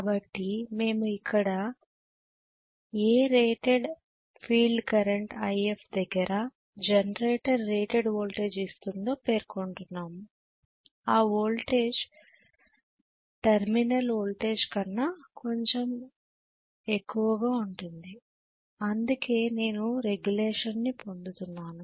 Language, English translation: Telugu, So we are going to specify here rated IF at which the rated voltage the generator voltage will be at rated value which can be slightly higher than whatever is my terminal voltage that is why I am getting regulation